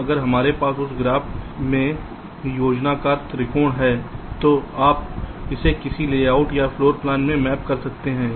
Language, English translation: Hindi, now, if we have the planner triangulations in that graph, you can map it to a layout or a floor plan